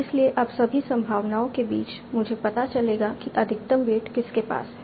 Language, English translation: Hindi, So now among all the possibilities, I will find out the one that is having the maximum weight